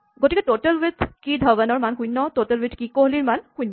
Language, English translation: Assamese, So, total with key Dhawan is 0, total with key Kohli is 0